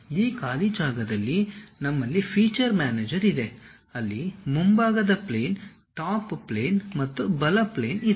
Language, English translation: Kannada, In this blank space, we have feature manager where front plane, top plane and right plane is located